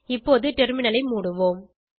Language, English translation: Tamil, Let us close the Terminal now